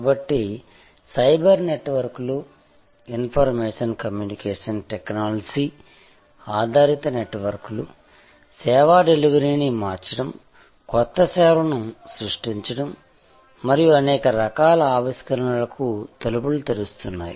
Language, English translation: Telugu, So, the point that we are discussing that cyber networks, information communication technology based networks are transforming service delivery, creating new services and opening the doors to many different types of innovations